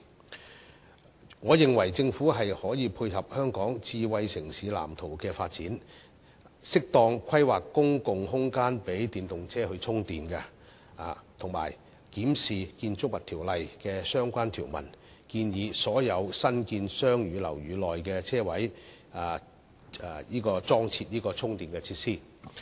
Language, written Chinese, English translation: Cantonese, 就此，我認為政府可以配合《香港智慧城市藍圖》的發展，適當規劃公共空間予電動車充電，以及檢視《建築物條例》的相關條文，建議所有新建商住樓宇內的車位都必須設置充電設施。, In this connection I hold that the Government can complement the development of the Hong Kong Smart City Blueprint and make suitable planning of public spaces for charging of EVs and review relevant provisions of the Buildings Ordinance to mandate the provision of charging facilities at the parking spaces of all newly constructed commercial and residential buildings